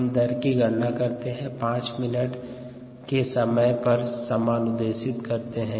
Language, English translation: Hindi, we calculate the rate and assign it to the time of five minutes